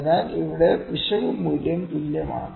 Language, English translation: Malayalam, So, it is if the error value here the error value is same, ok